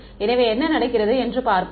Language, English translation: Tamil, So, let us look at what happens